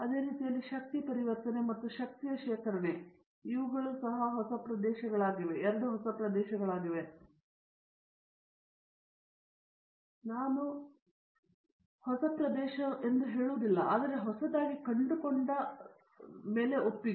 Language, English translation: Kannada, In the same way energy conversion and energy storage, these are the two new areas, I will not say new area but newly finding acceptance